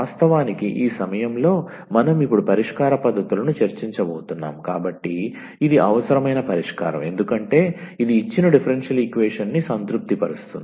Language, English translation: Telugu, In fact, at this point because we are now going to discuss the solution techniques, this is a needed a solution because this will satisfies the given differential equation